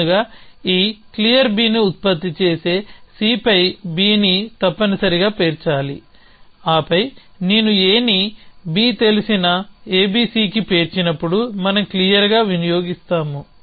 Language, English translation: Telugu, So, first an must stack B on C which will produce this clear B and then I will consume clear we when I stack A on to B known A B C